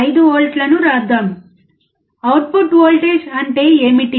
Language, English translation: Telugu, 5 volts, what is the output voltage